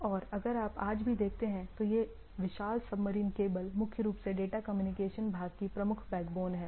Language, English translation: Hindi, And if you see today also this huge sub submarine cables primarily forms the major backbone of the data communication part